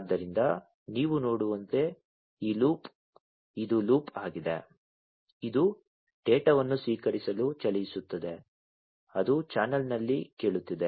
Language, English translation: Kannada, So, this loop as you can see this is a loop, which runs to receive the data, it is listening, you know, it is listening the channel, you know, over the channel